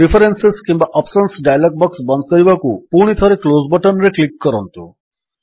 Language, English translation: Odia, Again click on the Close button to close the Preferences or Options dialog box